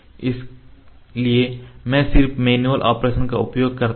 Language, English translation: Hindi, So, I just use the manual operation